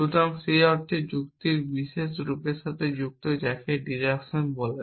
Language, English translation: Bengali, So, in that sense logic is associated with the particular form of reasoning which is called deduction